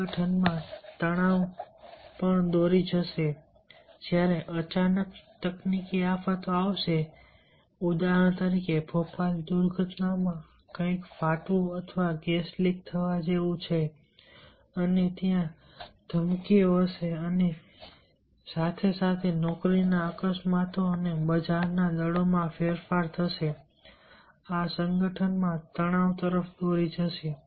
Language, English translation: Gujarati, stress in the organization will also lead, will happen when there is sudden technological disasters ah, something bursts, or like gas leak in bhopal, disasters and there will be threats and as well as there will be on the job, accidents and the change in the market forces